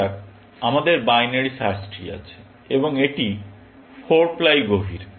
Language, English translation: Bengali, Let us assume that we have binary search tree, and it is 4 ply deep